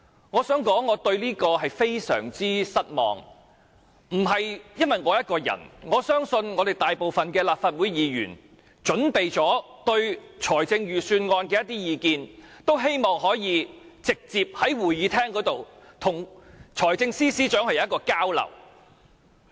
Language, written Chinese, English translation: Cantonese, 我想說，我對此感到非常失望，不單是我，我相信大部分準備對財政預算案提出意見的立法會議員均希望可以直接在會議廳與財政司司長交流。, I would like to say that I am very disappointed about this . I believe not only me but the majority of Members of the Legislative Council who intend to express their views on the Budget would like to directly exchange their views with the Financial Secretary in the Chamber